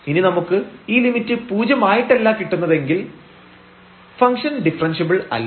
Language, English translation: Malayalam, If we do not get this limit as 0 then the function is not differentiable